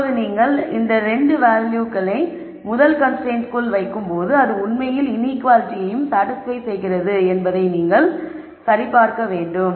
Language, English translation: Tamil, Now when you put these 2 values into the first constraint you will check that it actually satisfies the inequality also